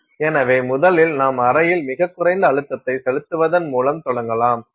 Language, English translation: Tamil, So, first you begin by pumping down the chamber to very low pressure